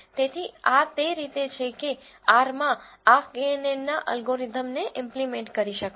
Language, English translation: Gujarati, So, this is how one can implement this knn algorithm in R